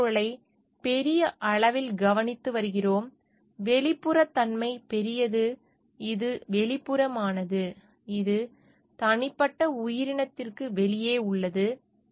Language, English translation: Tamil, So, we are taking care of the environment at large, the externality at large, which is externality, which just outside the individual organism